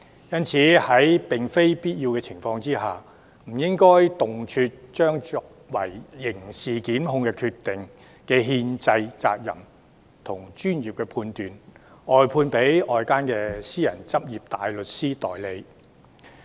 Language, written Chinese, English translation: Cantonese, 因此，在並非必要的情況下，不應動輒將作出刑事檢控決定的憲制責任與專業判斷，外判給外間的私人執業大律師代理。, Therefore the constitutional responsibility and professional judgment of making prosecutorial decision should not be readily briefed out to barristers in private practices unless it is absolutely necessary